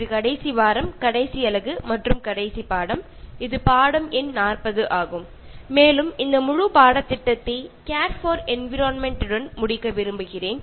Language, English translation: Tamil, This is the last week, last unit and the last lesson, that is lesson number 40, and very appropriately I want to conclude this entire course with Care for Environment